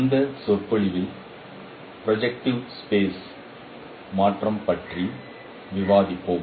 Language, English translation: Tamil, In this lecture we will discuss about transformation in projective space